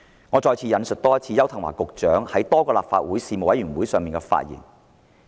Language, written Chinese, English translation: Cantonese, 我再次引述邱騰華局長在多個立法會事務委員會上的發言。, Let me quote again the remarks made by Secretary Edward YAU at various panel meetings of the Legislative Council